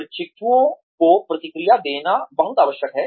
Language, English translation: Hindi, It is very essential to give, feedback to the trainees